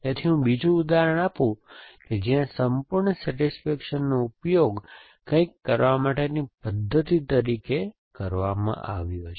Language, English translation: Gujarati, So, let me give another example where whole same satisfaction has been use as a mechanism for doing something